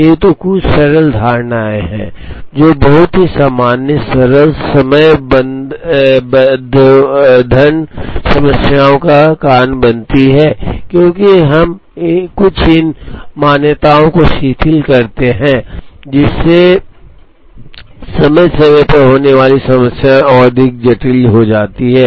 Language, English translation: Hindi, So, these are some simple assumptions, which lead to very basic simple scheduling problems, as we relax some of these assumptions scheduling problems become more involved and little more complicated